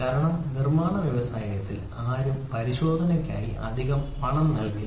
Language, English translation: Malayalam, Because in manufacturing industry nobody is going to pay extra money for inspection